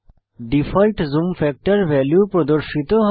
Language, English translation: Bengali, The default zoom factor(%) value is displayed